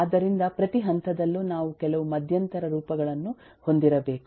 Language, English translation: Kannada, so at every stage we need to have certain intermediate forms